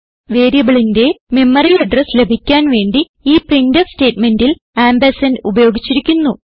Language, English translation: Malayalam, In the printf statement ampersand is used for retrieving memory address of the variable